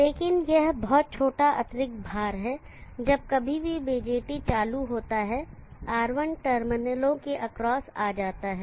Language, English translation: Hindi, But it is very small additional load whenever the BJT is turned on R1 comes across the terminals